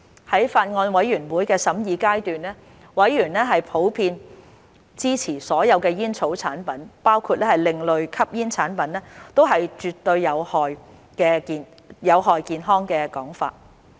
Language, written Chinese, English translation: Cantonese, 在法案委員會審議階段，委員普遍支持所有煙草產品，包括另類吸煙產品，都絕對有害健康的說法。, At the scrutiny stage of the Bills Committee members generally supported the saying that all tobacco products including ASPs are definitely detrimental to health